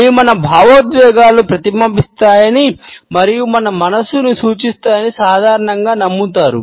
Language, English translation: Telugu, It is generally believed that they reflect our emotions and are an indication of our mind sets